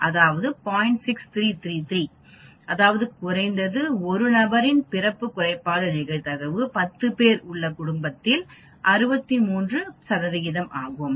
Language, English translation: Tamil, 633 that means probability of at least one person having birth defect in that family of 10 is 63 percent